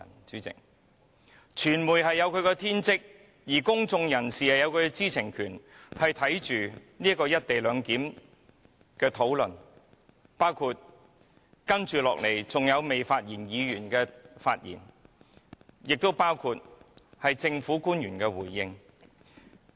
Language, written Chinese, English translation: Cantonese, 主席，傳媒有其天職，公眾人士也有其知情權，可觀看"一地兩檢"議案的討論，包括接下來仍未發言議員的發言及政府官員的回應。, President given the bounden duty of the media and the right to know of members of the public the media and the public should observe the discussions of the motion on the co - location arrangement including the speeches of Members who have yet to speak and the replies of government officials